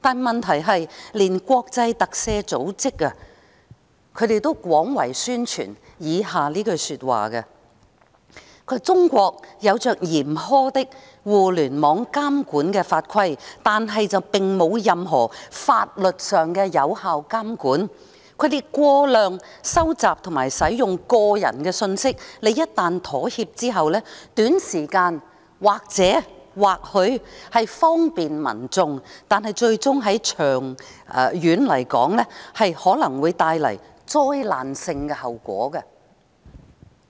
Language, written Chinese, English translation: Cantonese, 問題是，連國際特赦組織也廣泛宣傳以下的話："中國有着嚴苛的互聯網監管法規，但並無任何法律上的有效監管，他們過量收集及使用個人信息，一旦妥協後，短時間或許方便民眾，但最終長遠而言，可能會帶來災難性的後果。, The problem is that even the Amnesty International has propagated this very extensively China has put in place stringent rules and regulations for monitoring the Internet . But there is not any effective monitoring in law . Their excessive collection and use of personal data may bring transient convenience to the broad masses once people have conceded to it